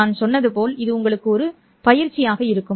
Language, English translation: Tamil, And as I said, this will be the exercise to you